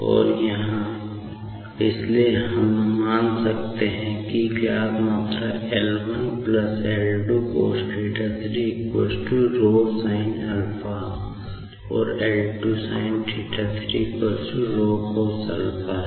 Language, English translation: Hindi, And, here, so we can assume that the known quantity L1 + L2 cosθ 3 = ρ sinα ; and L2 sinθ 3 = ρ cosα